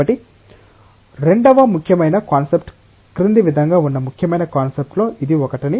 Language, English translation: Telugu, So, that is one of the important concepts the second important concept is as follows